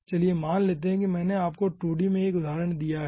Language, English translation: Hindi, lets say, i have given you a example in 2d